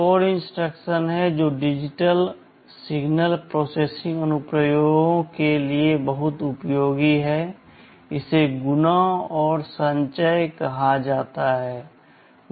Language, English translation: Hindi, There is another instruction that is very much useful for digital signal processing applications, this is called multiply and accumulate